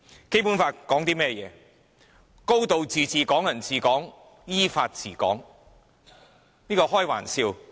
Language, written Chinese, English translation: Cantonese, 《基本法》訂明"高度自治"、"港人治港"、"依法治港"，根本是開玩笑。, The principles of a high degree of autonomy Hong Kong people ruling Hong Kong and ruling Hong Kong in accordance with law as stated in the Basic Law are the laughing stock